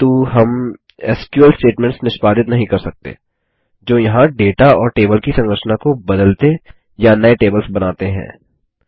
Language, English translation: Hindi, But we cannot execute SQL statements which modify data and table structures or to create new tables there